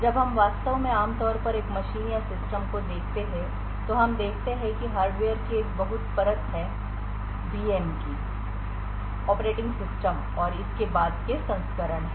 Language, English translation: Hindi, When we actually normally look at a machine or a system, we see that there are a multiple layer of hardware, there are VM’s, operating systems and above that the application